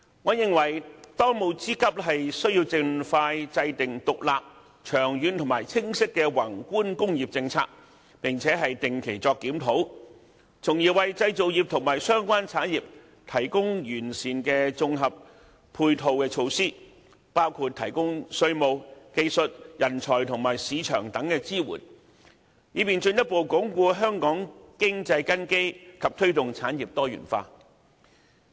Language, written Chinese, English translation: Cantonese, 我認為當務之急，是盡快制訂獨立、長遠而清晰的宏觀工業政策，並且定期檢討，從而為製造業和相關產業提供完善的綜合配套措施，包括提供稅務、技術、人才和市場等支援，以便進一步鞏固香港經濟根基並推動產業多元化。, I think there is a pressing need to formulate a dedicated long - term and clear macro industrial policy with regular reviews so as to provide a set of satisfactory integrated ancillary measures for the manufacturing and related industries which include the provision of support in respect of tax skill talent and market thereby further consolidating the economic foundation of Hong Kong and promoting the diversification of industries